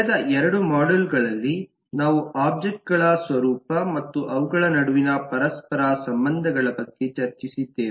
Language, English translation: Kannada, in the last two modules we have discussed about the nature of objects and their interrelationships between them